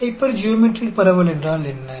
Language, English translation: Tamil, What is hypergeometric distribution